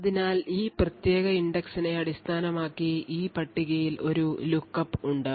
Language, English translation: Malayalam, So, there is a lookup in this table based on this particular index